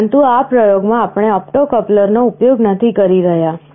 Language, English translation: Gujarati, But in this experiment we are not using the opto coupler